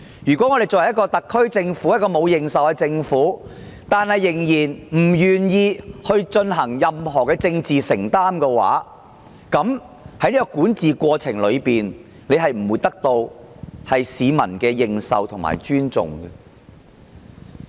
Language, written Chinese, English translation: Cantonese, 如果一個沒有認受性的特區政府仍然不願意作出任何政治承擔，它的管治不會得到市民的認受和尊重。, If the SAR Government having no public recognition is unwilling to make any political commitment its governance will not be recognized and respected by the public